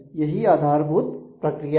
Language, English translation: Hindi, So, that is a basic mechanism